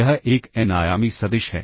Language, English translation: Hindi, This is an n dimensional vector